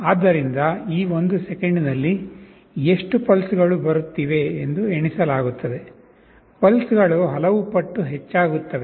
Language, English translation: Kannada, So, how many pulses are coming in this one second will get counted; pulses will get incremented by so many times